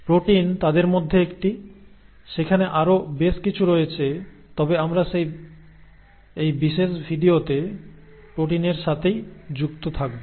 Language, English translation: Bengali, Now protein is one of them, there are quite a few others but we will stick to proteins in this particular video